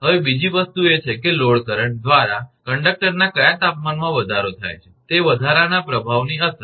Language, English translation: Gujarati, Now, another thing is that effect of rise of your what temperature rise of conductor by load current